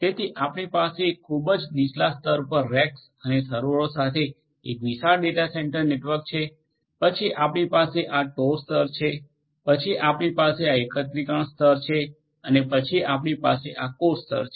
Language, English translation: Gujarati, So, you are going to have a huge data centre network with racks and servers at the very bottom layer, then you have this tor layer, then you have this aggregation layer and then you have this core layer